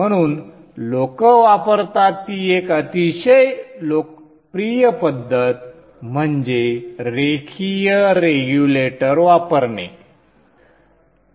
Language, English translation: Marathi, So one very popular method which people use is to use linear regulators